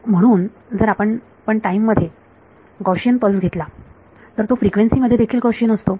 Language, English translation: Marathi, So, if you take a Gaussian pulse in time it is Gaussian in frequency